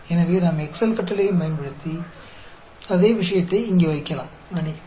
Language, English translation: Tamil, So, we can put in the same thing here, using the Excel command also, sorry